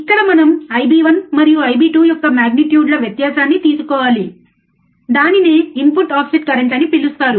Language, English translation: Telugu, hHere we have to take a difference difference of what difference in the maof magnitudes of I b 1 and I b 2, which is called input offset current